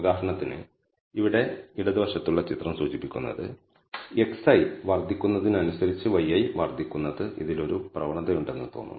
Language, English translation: Malayalam, For example, the figure on the left here indicates that the y i increases as x i increases there seems to be a trend in this